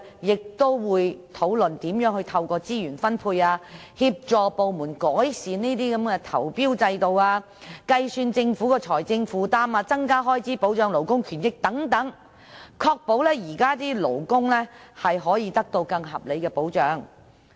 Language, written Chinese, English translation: Cantonese, 該小組會討論如何透過資源分配，協助部門改善投標制度，並計算政府的財政負擔，增加開支以保障勞工權益等，務求確保現時的勞工能獲得更合理的保障。, The working group will discuss how best to assist the departments in improving the tendering system through allocation of resources calculate the Governments financial commitment increase the expenditure on the protection of labour rights and interests etc in order to ensure that the existing workers can receive more reasonable protection